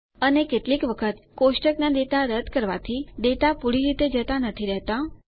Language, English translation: Gujarati, And, sometimes, deleting table data does not purge the data completely